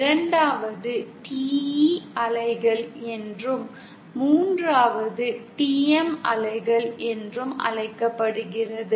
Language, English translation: Tamil, 2nd is called TE waves and 3rd is called TM waves